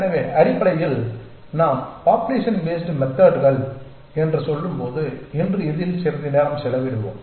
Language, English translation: Tamil, So, basically when we say population based methods and we will spend some time on this today